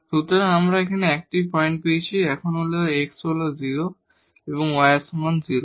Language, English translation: Bengali, So, we got this 1 point, now x is equal to 0 and y is equal to 0